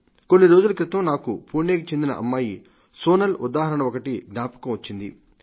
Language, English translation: Telugu, A few days ago, I came across a mention of Sonal, a young daughter from Pune